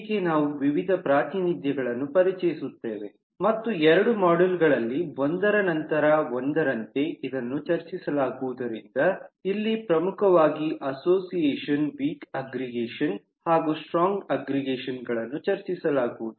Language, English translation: Kannada, so we will introduce variety of representations and since this will be discussed in two modules, one after the other, i have highlighted the ones that will be discussed here: association, weak aggregation and strong aggregation